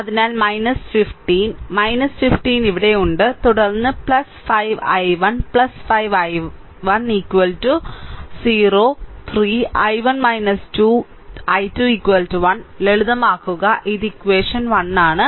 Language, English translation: Malayalam, So, minus 15; so, minus 15 is here, then plus 5 i 1 plus 5 i 1 is equal to 0 simplify 3, i 1 minus 2, i 2 is equal to 1, this is equation 1